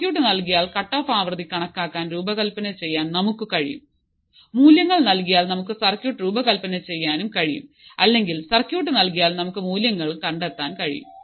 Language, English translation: Malayalam, To design or to calculate the cutoff frequency given the circuit, we have seen if we are given the value we can design the circuit if the circuit is there we can find the values